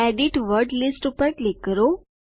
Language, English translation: Gujarati, Click Edit Word Lists